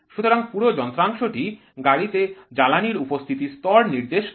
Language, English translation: Bengali, So, the entire device is indicating the level of fuel present in the vehicle